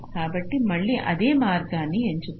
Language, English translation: Telugu, so again, choose the same path